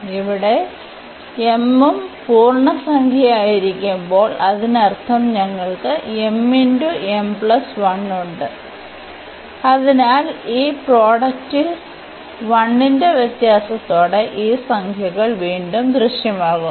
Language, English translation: Malayalam, So, when here m is also integer, so; that means, we have m m plus 1 and so on this product again appearing of these integers with the difference of 1